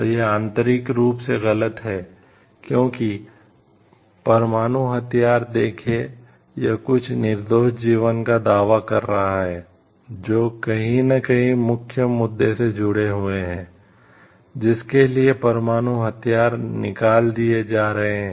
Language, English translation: Hindi, So, it is to intrinsically wrong, because see nuclear weapon, it is claiming some innocent lives who are nowhere connected with the main issue for which nuclear weapons are getting fired